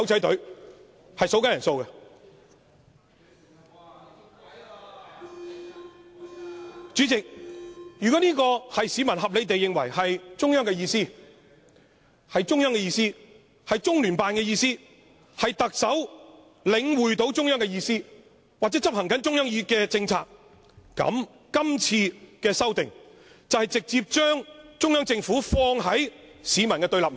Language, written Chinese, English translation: Cantonese, 代理主席，如果市民合理地認為這是中央、中聯辦的意思，是特首領會中央的意思或執行中央的政策，今次的修訂就是直接把中央政府放於市民的對立面。, Deputy President if the public reasonably think that this is the idea of the Central Authorities or the LOCPG and that the Chief Executive is only getting the message from or implementing the policy of the Central Authorities the proposed amendments have actually put the Central Government in direct confrontation with the public